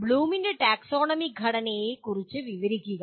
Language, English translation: Malayalam, Then describe the structure of Bloom’s taxonomy